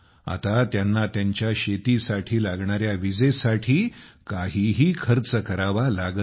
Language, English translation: Marathi, Now they do not have to spend anything on electricity for their farm